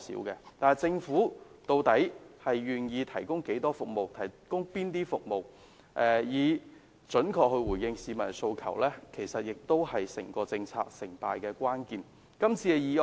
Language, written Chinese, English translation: Cantonese, 然而，政府究竟願意提供哪種服務，以準確回應市民的訴求，其實亦是整個政策成敗的關鍵。, However the success and failure of the policy relies on the types of services that the Government would provide in order to accurately address the aspirations of the public